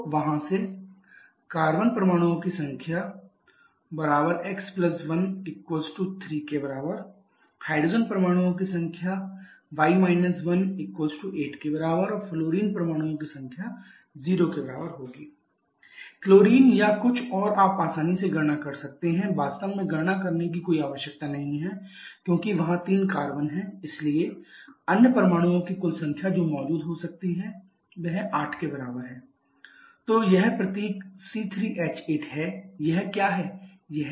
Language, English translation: Hindi, Number of hydrogen will be equal to y – 1, so 9 1 that is 8, fluorine will be equal to 0, so chlorine or something else you can easily calculate actually there is no need to calculate because as there are 3 carbons the total number of other molecules or sorry other atoms that can be present is equal to 3 into 2 + 2 that is 8 only